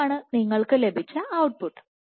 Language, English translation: Malayalam, This is the output you got once